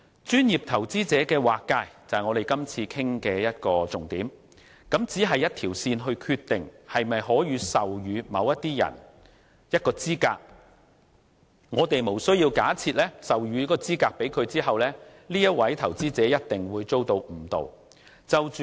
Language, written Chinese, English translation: Cantonese, 專業投資者的劃界是我們今次討論的重點，它只是關於以一條線來決定可否授予某些人一個資格，故此，我們無須假設授予資格給某位投資者後，該投資者一定會被誤導。, Our discussion focuses on the definition of a professional investor . It is only about adopting a benchmark to determine whether certain people may qualify as professional investors . Therefore it is not necessary for us to assume that an investor will definitely be misled if such qualification is granted to him